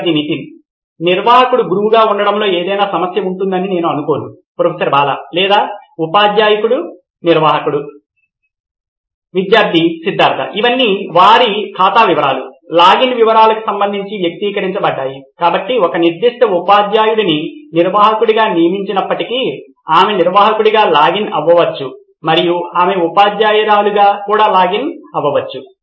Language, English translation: Telugu, I do not think there would be any problem with the admin being the teacher or teacher being the admin It is all individualised with respect to their account details, login details, so even if a particular teacher is assigned as the admin she can login as an admin and she can also login as a teacher also